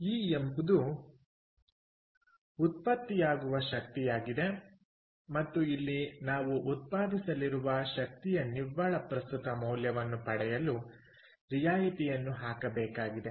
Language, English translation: Kannada, e is the energy generated and here also we have to put a discounting to get net present value of the energy that is going to be generated, let us say five years later